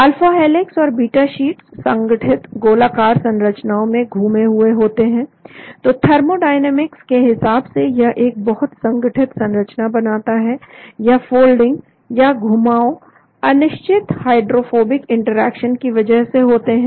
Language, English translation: Hindi, The alpha helixes and beta sheets are folded into compact globular structures, so thermodynamically it forms a very compact structure, the folding is due to non specific hydrophobic interactions